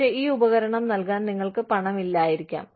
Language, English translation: Malayalam, But, you may not have the money, to provide this equipment